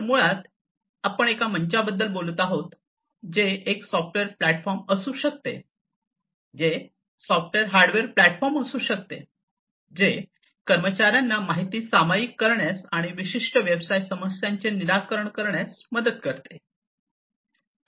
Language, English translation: Marathi, So, basically we are talking about a platform which can be a software platform, which can be a software hardware platform, which helps the in employees to share information and solve certain business problems